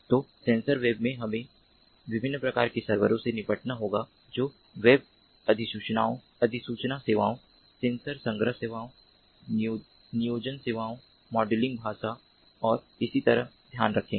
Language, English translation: Hindi, so in sensor web, we have to deal with different types of servers which will take care of web notification services, sensor collection services, planning services, modeling language and so on